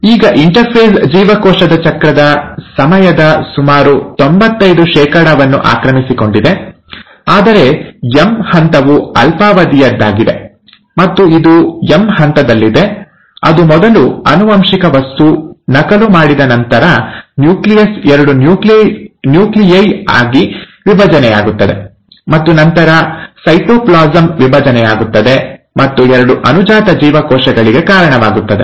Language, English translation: Kannada, Now interphase occupies almost ninety five percent of the time of a cell cycle, while ‘M phase’ is much short lived, and it's in the M phase that first the genetic material, after being duplicated, the nucleus divides into two nuclei and then the cytoplasm divides and gives rise to two daughter cells